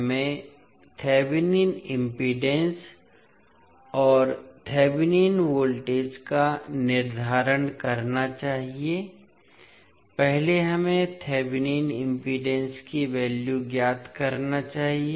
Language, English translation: Hindi, We have to determine the Thevenin impedance and Thevenin voltage, first let us find out the value of Thevenin impedance